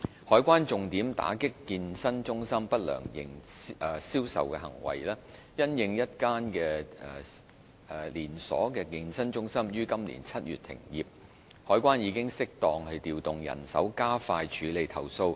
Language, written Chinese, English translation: Cantonese, 海關重點打擊健身中心不良銷售行為，因應一間連鎖健身中心於今年7月停業，海關已適當調動人手加快處理投訴。, The Customs and Excise Department CED has been exerting earnest efforts towards combating unfair trade practices deployed by the fitness industry . Following the closure of a chain of fitness centres in July this year CED has suitably deployed staff to expedite the handling of complaints